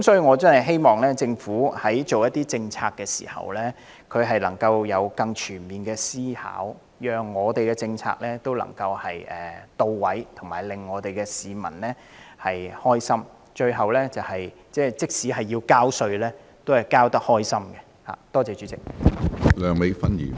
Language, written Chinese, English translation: Cantonese, 我真的希望政府在制訂政策時能有更全面的思考，確保政策能到位，能令市民快樂，讓他們即使需要繳稅，在繳款時也感到高興。, I really hope that the Government would have a more comprehensive consideration in policy formulation and ensure that effective policies are in place to the satisfaction of members of the general public so that they will feel happy even though they have to pay tax